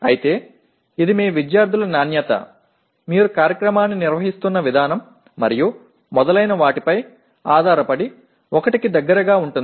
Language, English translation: Telugu, But it can be as close as to 1 depending on the quality of your students, the way you are conducting the program and so on